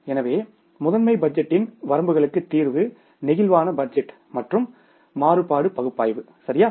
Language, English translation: Tamil, So, the solution to the limitations of the master budget is the flexible budgets and variance analysis